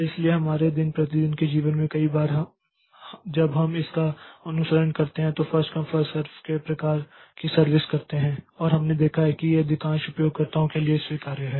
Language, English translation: Hindi, So, in our day to day life also many a time we follow this first come first serve type of service and we have seen that that is satisfy acceptable to most of the users okay